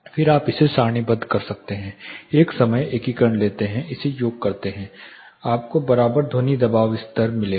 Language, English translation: Hindi, Then you tabulate it take a time integration sum it up you will get the equivalent sound pressure level